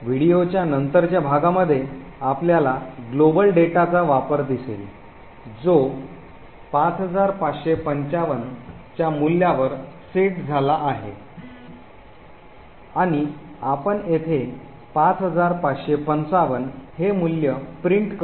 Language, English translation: Marathi, In a later part of the video we will see the use of this global data which is set to a value of 5555 and we print this value of 5555 over here